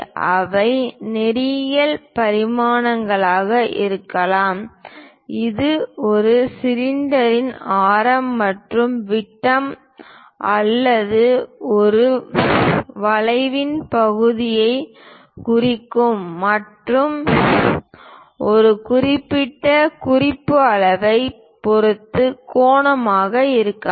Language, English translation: Tamil, They can be linear dimensions, it can be angular perhaps representing radius or diameter of a cylinder or part of a curve and with respect to certain reference scale